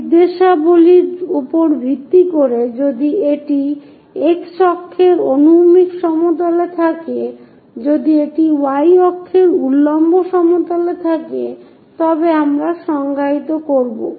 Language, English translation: Bengali, Based on the directions if it is on x axis horizontal plane, if it is on y axis vertical plane we will define